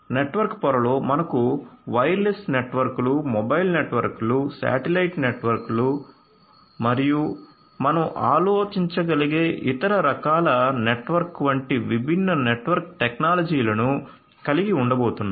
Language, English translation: Telugu, In the network layer we are going to have different different network technologies such as wireless networks, mobile networks, satellite networks and any other different type of network that you can think of